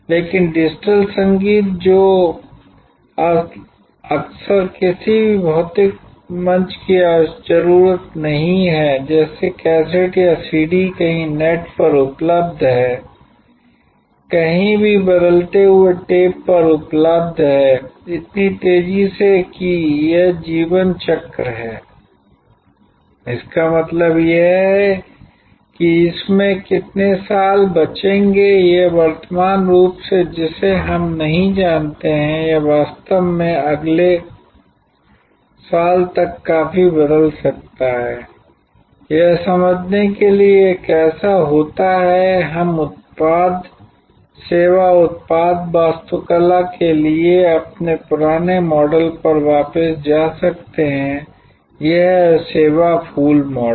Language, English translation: Hindi, But, digital music which is now often not in need of any physical platform like a cassette or a CD available somewhere on the net, available on tap anytime changing so, rapidly that it is life cycle; that means, how many years it will survive in it is current form we do not know, it might actually change quite grammatically by next year to understand how this happens, we may go back to this our old model for product service product architecture, the service flower model